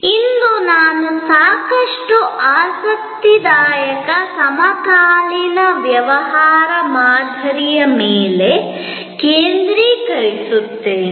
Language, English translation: Kannada, Today, I will focus on one of the quite interesting contemporary business model